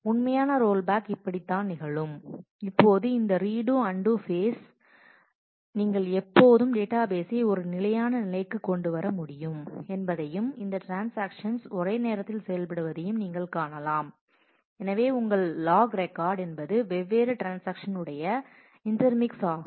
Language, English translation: Tamil, This is how the actual rollback can happen and you can see that now the with this redo undo phase you can always bring back the database to a consistent state and these transactions are executing concurrently and therefore, your log record is a intermix of the log record of different transactions